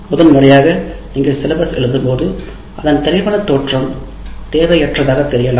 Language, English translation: Tamil, First time when you write the syllabus in this format, it may look very imposing and unnecessarily detailed